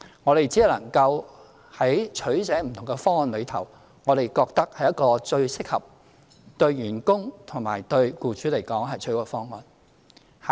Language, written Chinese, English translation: Cantonese, 我們只能夠在不同方案中作取捨，找出一個我們認為是最適合，對員工和對僱主而言是最好的方案。, We can only choose from these options and identify what we consider the most suitable one which can serve the best interests of both employees and employers